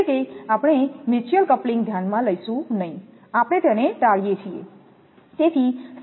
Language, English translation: Gujarati, So, mutual coupling we will not consider, we neglect it